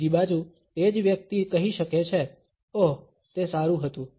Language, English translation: Gujarati, On the other hand, the same person can say, oh, it was good